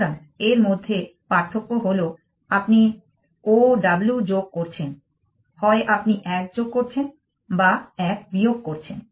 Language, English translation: Bengali, So, the difference between that is that you adding O W either you adding 1 or subtracting 1